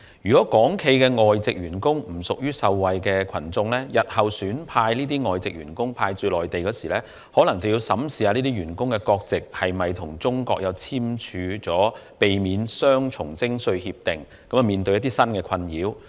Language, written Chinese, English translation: Cantonese, 如果港企的外籍員工不屬於受惠群眾，日後企業選派外籍員工駐守內地時，可能要審視這些員工所屬的國家，是否曾與中國簽署避免雙重徵稅協定，因而可避免困擾。, If the foreign employees of Hong Kong enterprises will not be benefited when enterprises deploy foreign employees to the Mainland in the future they may have to examine whether the countries of these employees have signed an agreement on avoidance of double taxation with China so as to avoid perplexity